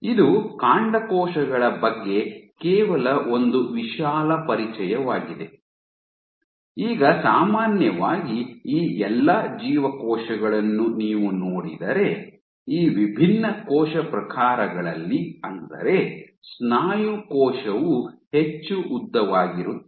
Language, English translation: Kannada, So, this is just a broad introduction to stem cells, now typically if you look at all these cells these different cell types a muscle cell is more elongated